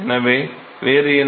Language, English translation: Tamil, So, what is